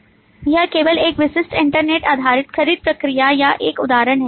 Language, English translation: Hindi, This is just an example of a typical internet based purchased process